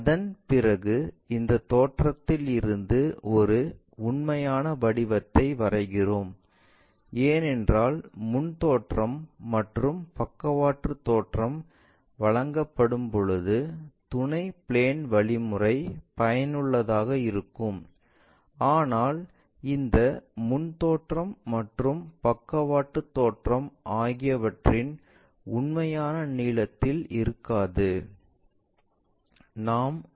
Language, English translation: Tamil, After that we draw a true shape from this view because auxiliary plane concept is useful when you have front views and top views are given, but these front views and top views may not be the true length information